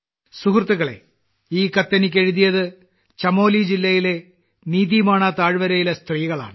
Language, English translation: Malayalam, Friends, this letter has been written to me by the women of NitiMana valley in Chamoli district